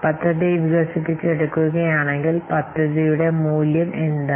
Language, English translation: Malayalam, If the project will be developed, what will the value of the project